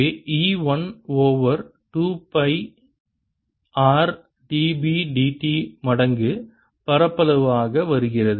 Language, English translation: Tamil, so e comes out to be one over two pi r, d, b, d t times area